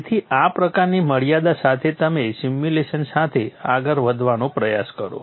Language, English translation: Gujarati, So with this kind of a limitation you try to go ahead with the simulation